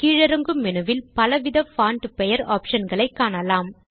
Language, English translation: Tamil, You see a wide variety of font name options in the drop down menu